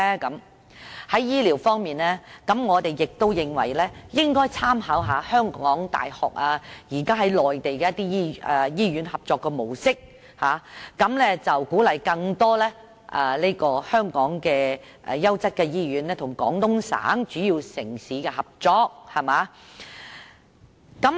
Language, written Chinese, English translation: Cantonese, 在醫療方面，我們認為應該參考香港大學現時與內地醫院合作的模式，以鼓勵更多香港的優質醫院與廣東省主要城市合作。, Speaking of health care we think the authorities should draw reference from the existing model of cooperation between the University of Hong Kong and the Mainland hospital concerned so as to encourage more quality hospitals in Hong Kong to cooperate with major Guangdong cities